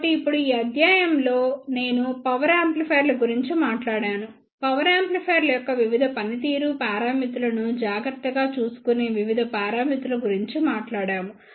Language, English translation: Telugu, So now, I would like to conclude in this lecture we talked about the power amplifiers, we talked about the various parameters which takes care of various performance parameters of the power amplifiers